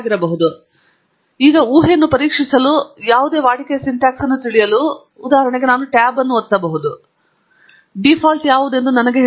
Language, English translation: Kannada, So, we can now test the hypothesis and to know the syntax of any routine, for example, I can press the tab, and it tells me what are the default ones